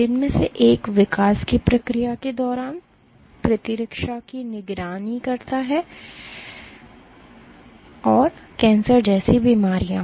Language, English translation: Hindi, One of which is for during the process of development, immunes surveillance, and diseases like cancer